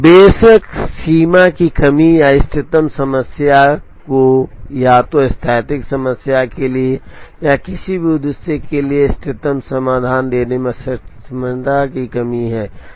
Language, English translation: Hindi, The limitation of course, is the lack of optimality or the inability to give the optimum solution to either make span or any objective for a static problem